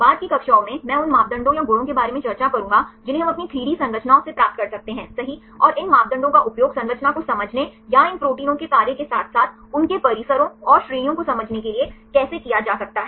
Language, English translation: Hindi, In the subsequent classes, I will discuss about the parameters or the properties right which we can derive right from their own 3 D structures, and how these parameters can be utilized for understanding the structure or understand the function of these proteins as well as their complexes and so on